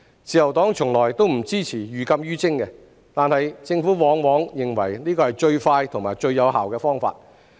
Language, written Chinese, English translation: Cantonese, 自由黨從來不支持寓禁於徵，但政府往往認為這是最快和最有效的方法。, The Liberal Party has never supported imposing prohibitive levies but the Government often considers this to be the most expedient and effective approach